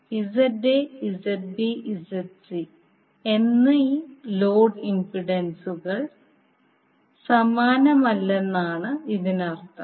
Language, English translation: Malayalam, It means that the load impedances that is ZA, ZB, ZC are not same